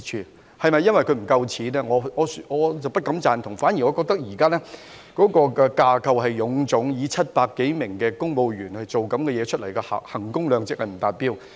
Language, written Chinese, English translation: Cantonese, 至於是否因為他們沒有足夠金錢，我不敢苟同，我反而覺得現在港台架構臃腫，以700多名公務員做出這類節目，衡工量值不達標。, As to whether it was because RTHK has insufficient funding I beg to differ . Instead I think RTHK has currently a bloated structure and with more than 700 civil servants making such programmes it comes up short in terms of value for money